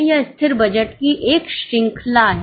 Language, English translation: Hindi, It is a series of static budgets